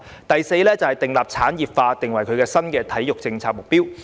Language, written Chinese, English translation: Cantonese, 第四，將產業化訂為新的體育政策目標。, Fourth set industrialization of sports as a new sports policy objective